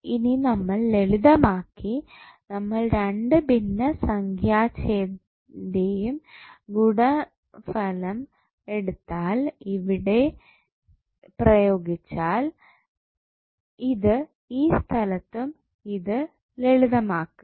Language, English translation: Malayalam, Now, we simplify, so, we just take the product of both the denominator and use the, you place this at here and this at this particular location and simplify